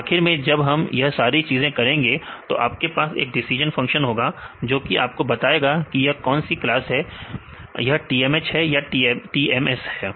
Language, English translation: Hindi, So, when we do all these things finally, you have a decision function this will tell you where this is which class this is the TMS or it is the TMH